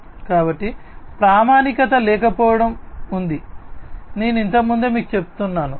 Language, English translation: Telugu, So, there is lack of standardization, as I was telling you earlier